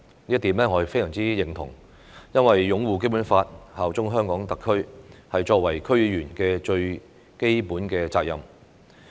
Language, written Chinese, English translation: Cantonese, 我非常認同這點，因為擁護《基本法》、效忠香港特區是作為區議員的最基本責任。, I strongly agree with this point because upholding the Basic Law and bearing allegiance to HKSAR are the basic duties of DC members